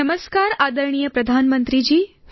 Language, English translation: Gujarati, Namaskar, Respected Prime Minister